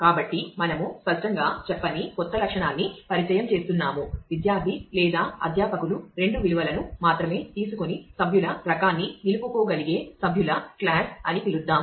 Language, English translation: Telugu, So, we introduce a new attribute which was not specified explicitly say; let us call it member class which can take only two values either student or faculty and then retain the member type